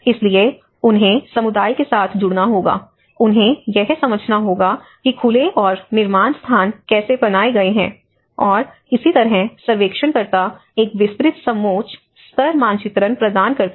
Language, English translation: Hindi, So, they have to engage with the community, they have to understand how the open and build spaces have been networked and similarly the surveyors provide a detailed contour level mapping